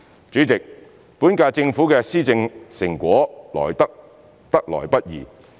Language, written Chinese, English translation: Cantonese, 主席，本屆政府的施政成果得來不易。, President the results of governance of the Government of the current term are not easy to come by